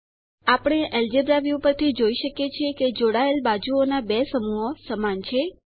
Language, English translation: Gujarati, We can see from the Algebra View that 2 pairs of adjacent sides are equal